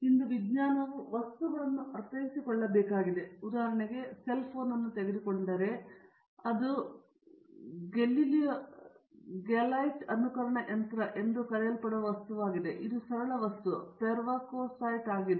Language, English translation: Kannada, Today the science has to be delivering materials, material means, for example you take a cell phone it is a material called Glylite resonators, this is simple material pervoskite